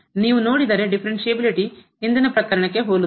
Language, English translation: Kannada, If you look at the differentiability is pretty similar to the earlier case